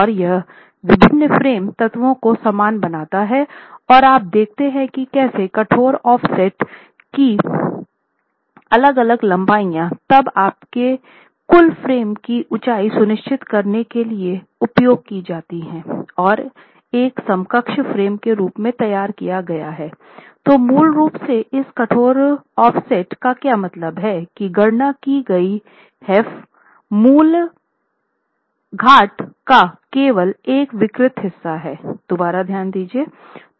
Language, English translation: Hindi, So, you see that how the different lengths of rigid offsets is then used to ensure your total frame along the height is modeled as an equivalent frame